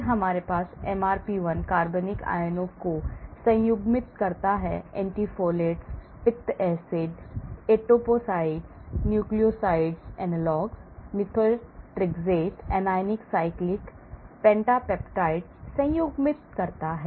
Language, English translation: Hindi, Then we have MRP1 conjugates organic anions, conjugates organic anions, conjugates anti folates, bile acids, etoposide , nucleoside analogs, methotrexate, anionic cyclic pentapeptide